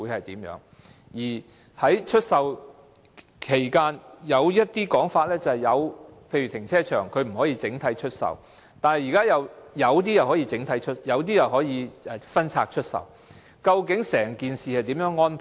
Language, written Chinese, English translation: Cantonese, 另外，有關出售的安排，例如停車場不可以整體出售，但現時有些又可以分拆出售，究竟整件事情是如何安排呢？, Besides concerning the after - sale arrangements for instance car parks are not supposed to be offered for sale in whole but some of them can now be sold in parts so what were the overall arrangements made back then?